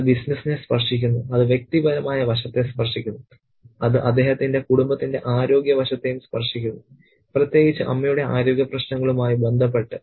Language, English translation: Malayalam, It touches on the business side, it touches on the personal side, and it touches on the, you know, health aspect of his family too, especially in relation to Amma's health issues